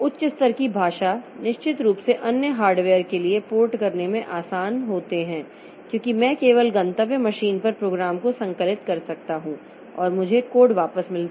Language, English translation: Hindi, High level language they are easier to port to other hardware definitely because I can so I can just compile the program at the at the destination machine and I get back the code